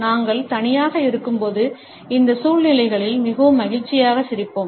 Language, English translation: Tamil, When we are alone we would smile in all these situations in a very happy manner